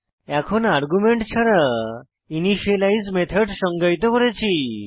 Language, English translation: Bengali, This argument gets passed on to the initialize method